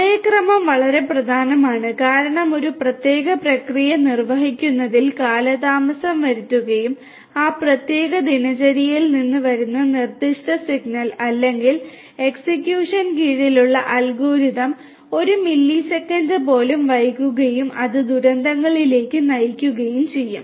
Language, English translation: Malayalam, Timing is very important because if you know if the certain if a particular process gets delayed in execution and that particular signal coming from that particular routine or that algorithm under execution gets delayed by even a millisecond that might also lead to disasters